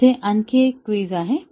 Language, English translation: Marathi, There is one more quiz here